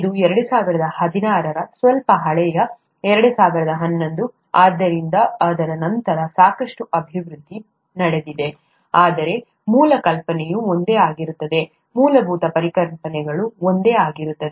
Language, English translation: Kannada, This is 2016, a slightly old 2011, so there’s a lot of development that has taken place after that, but the basic idea is all the same, the basic concepts are all the same